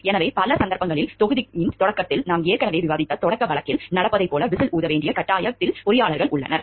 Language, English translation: Tamil, So, in many cases engineers are compelled to blow the whistle as it happened in the opening case that we already discussed at the beginning of the module